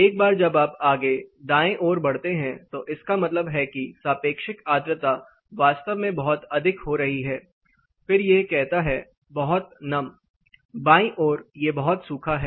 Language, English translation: Hindi, Once you move further right which means the relative humidity is getting really high, then says too humid, to the left it is too dry